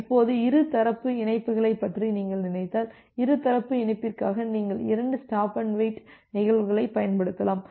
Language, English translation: Tamil, Now, for if you think about bidirectional connections, for bidirectional connection, you can use two instances of stop and wait